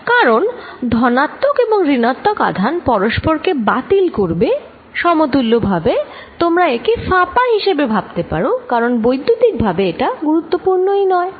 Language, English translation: Bengali, Because, positive and negative charges cancel, equivalently you can also think of this as being hollow, because electrically it does not matter